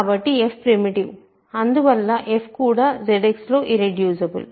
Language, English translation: Telugu, So, f is primitive, and hence f is also irreducible in Z X